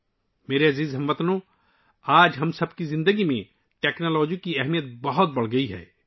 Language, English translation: Urdu, My dear countrymen, today the importance of technology has increased manifold in the lives of all of us